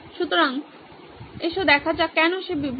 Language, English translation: Bengali, So, let’s say why is he distracted